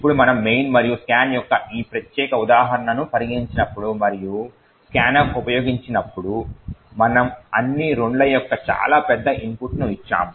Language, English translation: Telugu, Now when we consider this particular example of the main and scan and we consider that when use scan f we have given a very large input of all 2’s